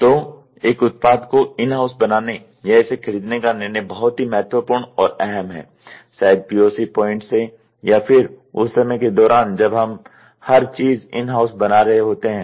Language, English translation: Hindi, So, the decision of making a product in house or buying it decision is very critical and crucial, maybe at the POC point of or the time of it we do everything in house